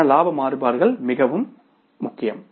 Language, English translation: Tamil, So, profit variances are very, very important